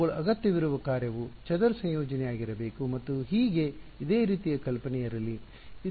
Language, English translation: Kannada, The function they are needed to be square integrable and so on let so, similar idea